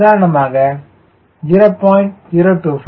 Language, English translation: Tamil, equal to zero